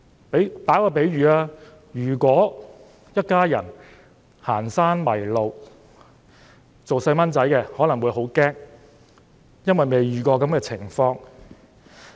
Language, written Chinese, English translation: Cantonese, 讓我作一個比喻，如果一家人行山時迷路，小朋友可能因未遇過這種情況而感到很驚慌。, Let me draw an analogy . If a family lost its way while hiking the children who have never been lost before may be frightened